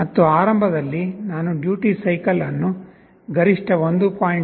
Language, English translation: Kannada, And initially I set the duty cycle to the maximum 1